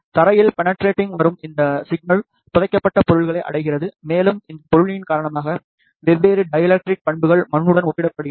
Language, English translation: Tamil, This signal penetrating the ground reaches the buried objects and because of this object, which has different dielectric properties compare to the soil